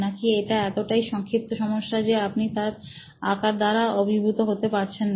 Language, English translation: Bengali, Is it narrow enough that you are not overwhelmed by the magnitude of the problem